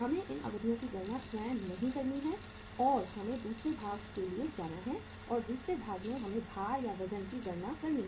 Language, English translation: Hindi, We are not to calculate these durations ourself and we have to go for the second part and second part is the calculation of the weights